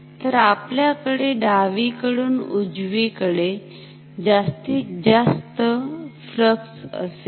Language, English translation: Marathi, So, we will have a maximum red flux from left to right